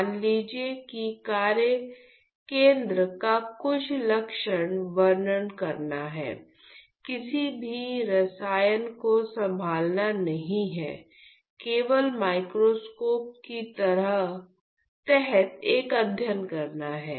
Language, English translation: Hindi, So, assume I am just doing some characterization I am at my workstation not handling any chemicals all I am doing is just a study under the microscope